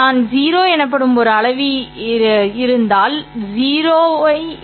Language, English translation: Tamil, There should also be a scalar called 0